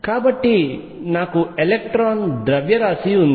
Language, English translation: Telugu, So, I have the mass of electron